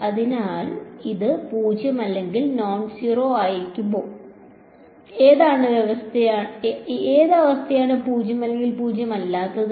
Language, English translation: Malayalam, So, will this be 0 or nonzero and what condition will it be 0 or nonzero